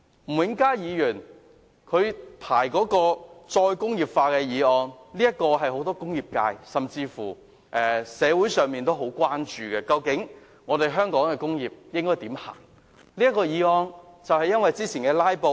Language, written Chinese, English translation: Cantonese, 吳永嘉議員提出討論"再工業化"的議案，是很多工業界和社會人士也關注的問題，究竟香港的工業前路應該怎樣走呢？, He uses the precious time of the Council to stage his solo performance . The motion on re - industrialization moved by Mr Jimmy NG is the concern of the industrial sector and community . What is the way forward for the industries in Hong Kong?